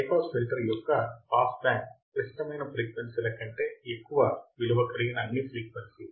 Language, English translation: Telugu, The passband of a high pass filter is all frequencies above critical frequencies